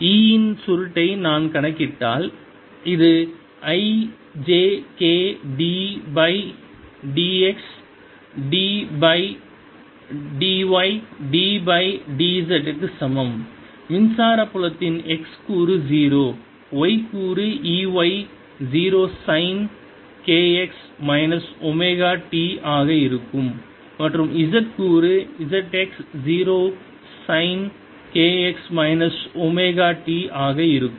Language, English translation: Tamil, and if i calculate the curl, it comes out to be i component times zero plus j component times zero minus d by d x of e, z zero sine of k x minus omega t plus k component d by d x of e y zero